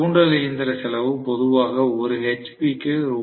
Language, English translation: Tamil, Induction machine cost is normally 1 hp cost Rs